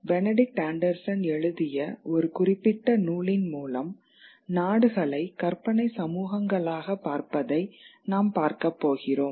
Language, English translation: Tamil, We are going to look through a specific text by Benedict Anderson called the imagined communities where it looks upon nations as imagined communities